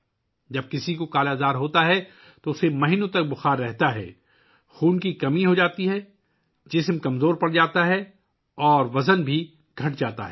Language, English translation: Urdu, When someone has 'Kala Azar', one has fever for months, there is anemia, the body becomes weak and the weight also decreases